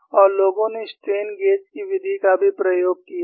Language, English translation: Hindi, And people have also attempted the method of strain gauges